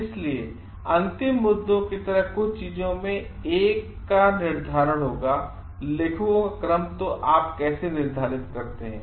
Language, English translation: Hindi, So, one of the things which will be a some like final issues will be the determination of the order of authors so, how do you determine is